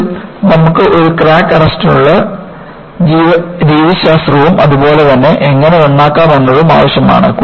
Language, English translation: Malayalam, Finally, you know, you need to have methodologies for a crack arrest, as well as how to repair